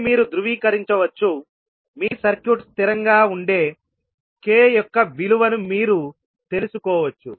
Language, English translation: Telugu, So this you can verify, you can find out the value of k for which your circuit will be stable